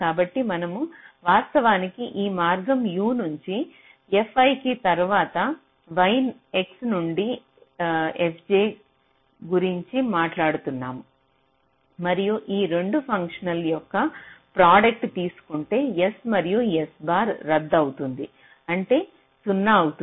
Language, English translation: Telugu, so we are actually talking about this path: u, two, f, i, then y, i, x to f j and if i do ah, product of this two functions, we see that s n s bar cancels out, become zero